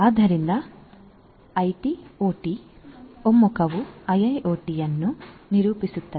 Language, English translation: Kannada, So, IT OT convergence is what characterizes IIoT